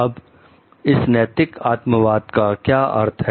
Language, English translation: Hindi, Now, what is the meaning of ethical subjectivism